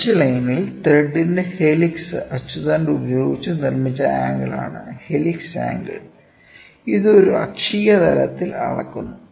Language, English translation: Malayalam, Helix angle, we have already seen it is the angle made by the helix of the thread at the pitch line with the axis this is and it is measured in an axial plane